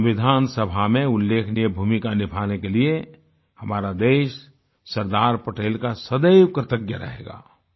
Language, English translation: Hindi, Our country will always be indebted to Sardar Patel for his steller role in the Constituent Assembly